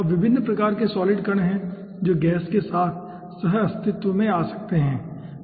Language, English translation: Hindi, now there are different types of solid particles which can coexisting gas